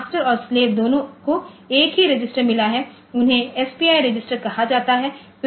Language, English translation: Hindi, Both the master and slave they have got one register this is they are called SPI register